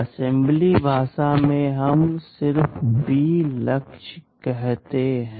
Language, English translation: Hindi, In assembly language we just say B Target